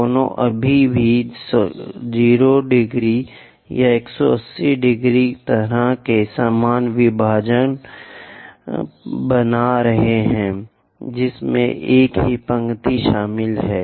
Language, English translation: Hindi, Both are still making that 0 degrees or 180 degrees kind of thing the equal division which comprises of same line